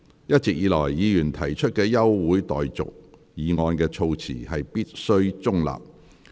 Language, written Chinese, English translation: Cantonese, 一直以來，議員提出的休會待續議案的措辭必須中立。, The wordings of adjournment motions raised by Members are required as always to be in neutral